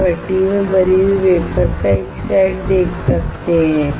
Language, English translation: Hindi, You can see a set of wafer loaded into the furnace